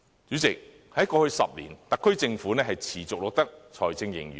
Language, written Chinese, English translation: Cantonese, 主席，過去10年，特區政府持續錄得財政盈餘。, President in the last 10 years the Special Administrative Region Government has recorded fiscal surplus persistently